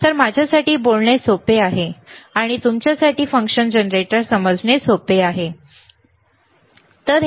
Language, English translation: Marathi, So, it is easy for me to talk, and easy for you to understand the function generator, all right